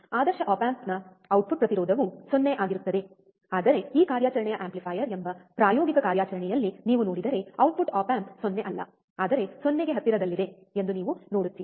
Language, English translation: Kannada, Same way the output impedance for ideal op amp would be 0, but if you see in the practical operation amplifier, this operation amplifier, then you will see that the output op amp is not 0, but close to 0, alright